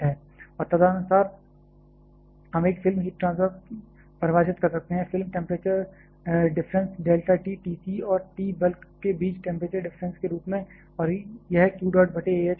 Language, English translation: Hindi, And accordingly, we can define a film heat transfer, film temperature difference delta T film as the temperature difference between T c and T bulk and that is found to be q dot by A h